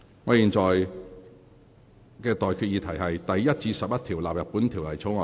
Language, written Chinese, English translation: Cantonese, 我現在向各位提出的待決議題是：第1至11條納入本條例草案。, I now put the question to you and that is That clauses 1 to 11 stand part of the Bill